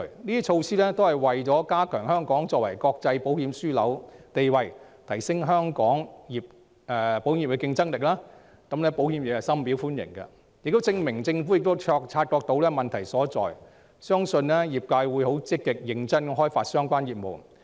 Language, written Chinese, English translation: Cantonese, 這些措施旨在加強香港作為國際保險樞紐的地位，提升香港保險業的競爭力，保險業界深表歡迎，亦證明政府已察覺問題所在，相信業界會積極和認真地開發相關業務。, These measures aim to strengthen Hong Kongs status as an international insurance hub and promote the competitiveness of Hong Kongs insurance industry . It also proves that the Government is aware of the problem . The insurance sector warmly welcomes the measures